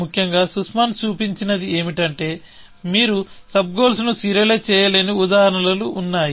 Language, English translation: Telugu, What Sussman showed was that there are examples where, you just cannot serialize the sub goals